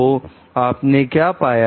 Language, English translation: Hindi, So, what you find